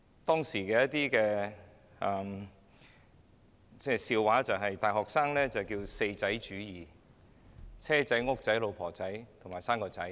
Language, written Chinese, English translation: Cantonese, 當時引為笑談的是流傳於大學生之間的 "4 仔主義"：亦即"車仔"、"屋仔"、"老婆仔"及"生個仔"。, University students back in those years often joked about the ism of little - four meaning that an ideal life was one with a little car a little flat a little wife and a little child